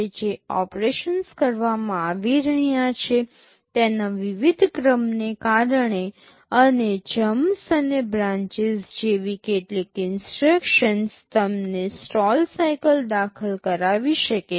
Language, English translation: Gujarati, Because of various sequence of operations that are being carried out, and some instructions like jumps and branches you may have to insert stall cycles